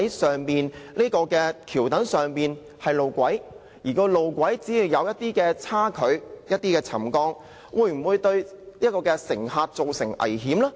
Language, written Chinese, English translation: Cantonese, 究竟橋躉上的路軌出現少許差距和沉降，會否對乘客造成危險呢？, Will minor variations and settlement of the viaduct pier tracks pose any risk to the passengers?